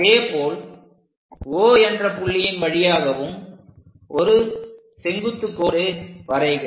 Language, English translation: Tamil, Similarly, draw one perpendicular line through O also